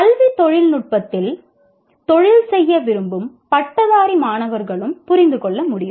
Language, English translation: Tamil, And also graduate students who wish to make careers in education technology, for example